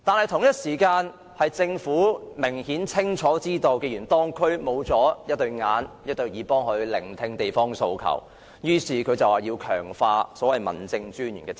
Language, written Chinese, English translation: Cantonese, 同時，政府清楚知道，既然地區缺乏眼睛和耳朵替它察看及聆聽地方訴求，於是便要強化民政事務專員的職責。, Meanwhile the Government knew only too well that it had no eyes or ears to watch and hear local demands at the district level it had to enhance the role of District Officers